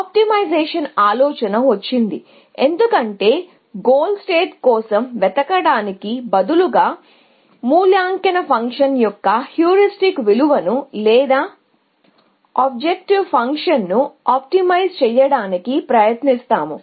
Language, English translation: Telugu, The idea was, that the idea of optimization came in, because we said that instead of looking for the goal state, we will try to optimize the heuristic value of the evaluation function, or the objective function, as the case maybe